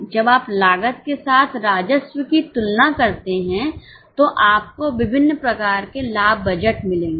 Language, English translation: Hindi, When you compare the revenue with cost, you will get various types of profit budgets